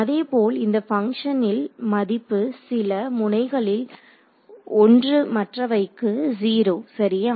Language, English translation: Tamil, Similarly this function has its value 1 at a certain node, 0 everyone else ok